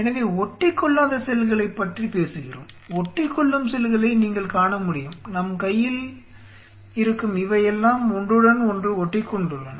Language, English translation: Tamil, So, flocking about Non adhering cells; adhering cells you could see these are all adhered to each other right in our hand